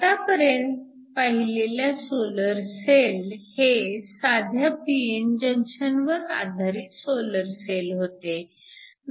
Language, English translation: Marathi, The solar cells you have seen so far are simple p n junction based solar cells